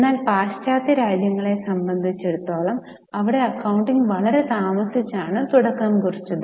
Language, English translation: Malayalam, Now as far as the Western countries are developed, Western countries are concerned, the accounting developed much later